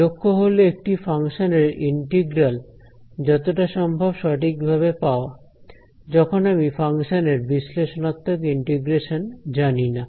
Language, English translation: Bengali, objective is find out the integral of a function as it accurately as possible, when I do not know the analytical integration of this function